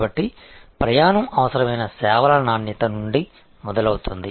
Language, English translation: Telugu, So, the journey starts from services quality that is essential